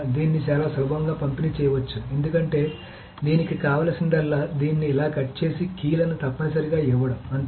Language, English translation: Telugu, So it can be very easily distributed because all he needs to do is to just cut it out like this and give the keys, essentially